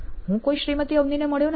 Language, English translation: Gujarati, I have not met any Mrs Avni